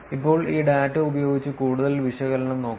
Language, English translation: Malayalam, Now, let us look at more analysis with this data